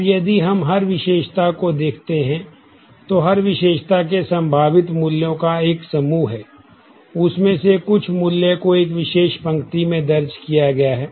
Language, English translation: Hindi, Now, if we look into every attribute, then every attribute has a set of possible values of which some value is entered in a particular row